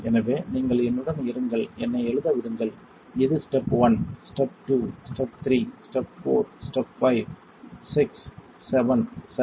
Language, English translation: Tamil, So, you be with me, let me, let me write down here this is step 1 step 2 step 3 step 4 step 5 6 seven alright